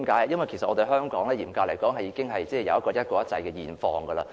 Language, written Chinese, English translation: Cantonese, 因為嚴格來說，香港已出現"一國一制"的現況。, Because strictly speaking we have one country one system in Hong Kong now